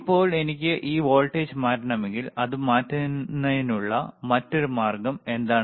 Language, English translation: Malayalam, Now if I want to change this voltage, if I want to change this voltage, what is the another way of changing it